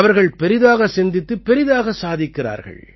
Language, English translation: Tamil, They are thinking Big and Achieving Big